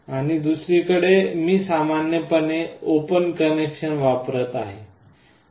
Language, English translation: Marathi, And on the other side I am using the normally open connection